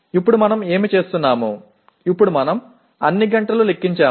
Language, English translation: Telugu, Now what we do, we now count all the number of hours